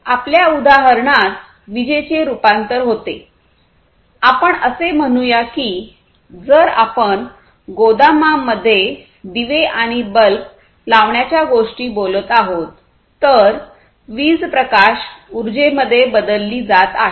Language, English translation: Marathi, So, in our example, basically electricity is transformed let us say that if we are talking about you know lighting lamps and bulbs in the warehouses, then electricity is getting transformed into light energy, right